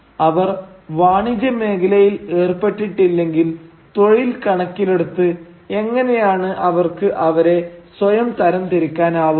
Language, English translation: Malayalam, So, if they were not engaged in business, how can one classify themselves in terms of the occupation